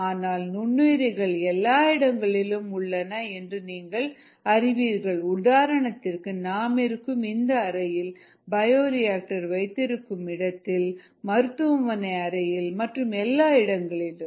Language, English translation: Tamil, however, organisms are present everywhere, in this room around us, in the space where this bioreactor used, um, in hospital rooms, and so on and so forth